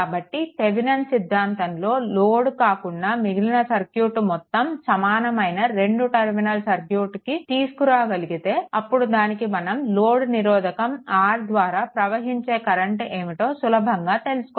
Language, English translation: Telugu, So, but Thevenin’s theorem suggests that if you if you just rest of the circuit, if you can bring it to an equivalent two terminal circuit, then after that you connect this one you can easily find out what is the current flowing through this load resistance R right